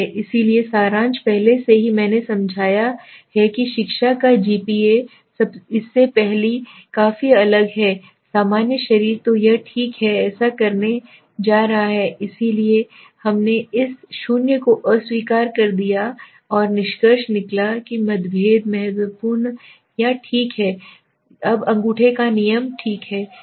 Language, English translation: Hindi, So summary is already I have explained the gp of education is significantly different from the general body so this is all right we are going to do so we rejected this 0 and concluded that the differences was significant right okay fine now this is the rule of thumb